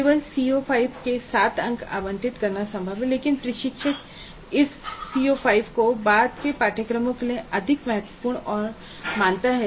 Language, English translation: Hindi, It is possible to allocate 7 marks only to the CO5 but the instructor perceives the CO5 to be more important, significant for later courses